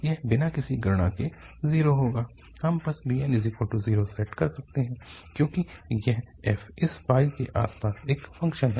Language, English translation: Hindi, This will be zero without any, any calculation we can just set to 0, because this is an odd function around this pi